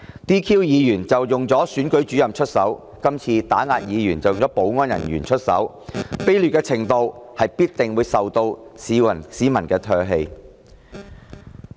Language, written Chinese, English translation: Cantonese, 先前利用選舉主任 "DQ" 議員，今次則利用保安人員打壓議員，這種劣行必定會受到市民唾棄。, Previously it deployed the Returning Officer to disqualify lawmakers and this time it deployed the security officers to suppress Members . Such despicable acts will surely be spurned by the people